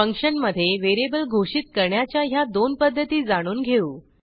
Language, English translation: Marathi, Let us learn these 2 ways to declare a variable within a function